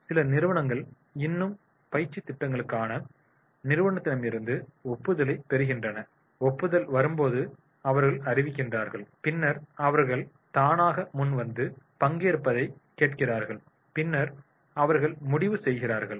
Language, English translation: Tamil, Some organizations still, they are getting the approval from the corporate for the training programs when the approval comes, then they announce, then they ask for the voluntarily participation and then this